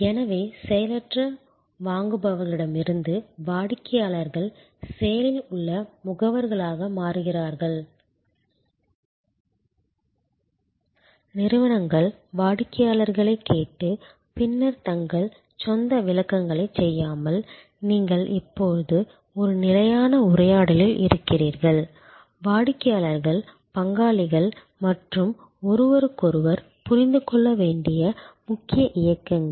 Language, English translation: Tamil, So, main movements that are happening, that from passive buyers customers are becoming active agents, instead of organizations listening to customers and then doing their own interpretation, you are now in a constant dialogue, customers are partners and each other’s points are to be understood almost in real time